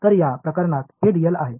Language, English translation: Marathi, So, this is dl in this case